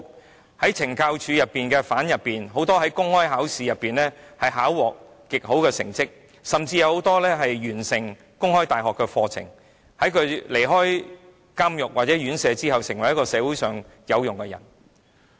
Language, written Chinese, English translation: Cantonese, 有很多懲教署的囚犯在公開考試考獲極好的成績，甚至有多人完成了香港公開大學的課程，在離開監獄或院所後成為社會上有用的人。, Many prisoners detained by CSD achieved remarkable results in open examinations and many others completed courses offered by the Open University of Hong Kong . They have become useful persons in society after release from prisons or correctional institutions